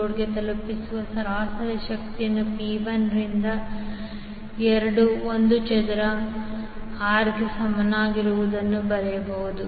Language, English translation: Kannada, The average power delivered to the load can be written as P is equal to 1 by 2 I square R